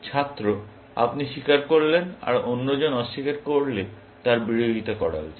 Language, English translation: Bengali, If you confess and the other deny, it should be oppose it